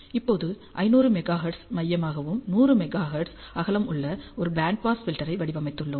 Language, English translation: Tamil, Now, ah we have designed a Band Pass Filter centered at 500 Megahertz with the Band Width of 100 Megahertz